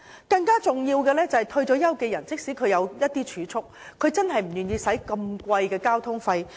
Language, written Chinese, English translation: Cantonese, 更重要的是，退休人士即使有儲蓄，也不願意支付昂貴的交通費。, More importantly even if retirees have savings they are reluctant to pay expensive travelling costs